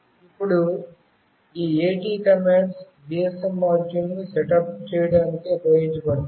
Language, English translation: Telugu, Now, these AT commands are used for to set up the GSM module